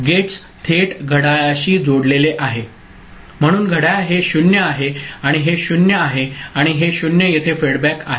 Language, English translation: Marathi, The gates that are connected directly to the clock ok, so clock becoming so sorry this is 0 and this is 0 and this 0 is fedback here ok